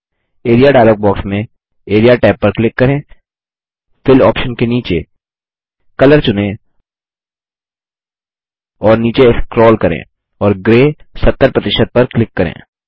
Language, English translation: Hindi, In the Area dialog box Click the Area tab under the Fill option, select Color and scroll down and click on the colour Gray 70%